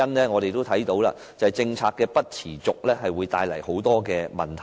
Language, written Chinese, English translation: Cantonese, 我們看到，政策未能持續會帶來很多問題。, It is evident that discontinuation of a policy can cause many problems